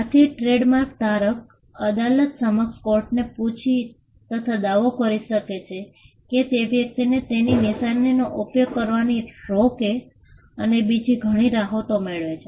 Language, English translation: Gujarati, Now when the trademark holder files a case before the court of law asking the court, to stop the person from using his mark and there are various other reliefs that the trademark holder can claim